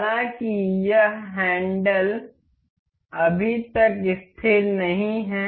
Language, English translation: Hindi, However, this handle is not yet fixed